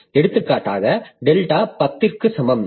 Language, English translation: Tamil, Suppose I have taken delta equal to 10,000